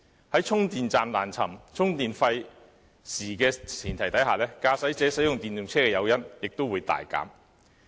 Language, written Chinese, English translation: Cantonese, 在充電站難尋、充電費時的前提下，駕駛者使用電動車的誘因亦會大減。, Under the circumstances when it is difficult to locate the charging stations and also time consuming to charge the vehicles there is less incentive for drivers to use EVs